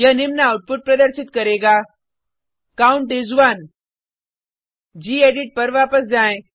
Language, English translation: Hindi, It will show the following output Count is 1 Let us switch back to gedit